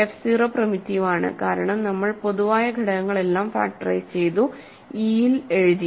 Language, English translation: Malayalam, So, f 0 is primitive, right, because we have factored out all the common factors and put it in e